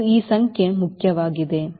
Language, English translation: Kannada, this is important, this number